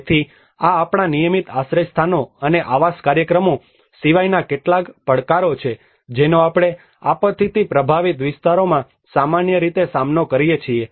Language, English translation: Gujarati, So these are some of the challenges apart from our regular shelter and housing programs which we deal with normally in the disaster affected areas